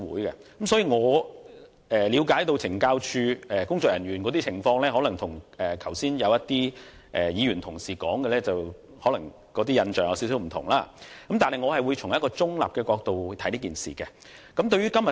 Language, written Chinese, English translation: Cantonese, 因此，我所了解的懲教署人員的工作情況，可能與一些議員同事剛才提及的印象有點不同，但我會從一個中立的角度來審議這議案。, Therefore the picture I have got from my understanding about CSD staff members work may be somewhat different from the impression that some fellow Members mentioned just now . Nevertheless I will take a neutral stance in considering this motion